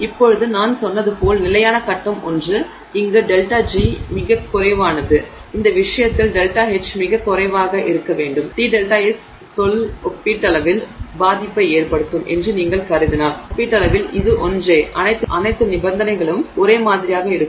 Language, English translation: Tamil, Now, as I said, the stable phase is one where the delta G is the lowest and in this case the delta H would have to be the lowest if you are assuming that the T delta S term is relatively unimpacting, I mean relatively the same for all the conditions